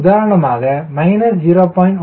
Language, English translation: Tamil, equal to zero